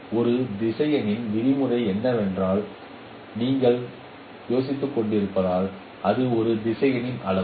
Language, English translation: Tamil, So if you are wondering what is meant by norm of a vector, it is simply the magnitude of that vector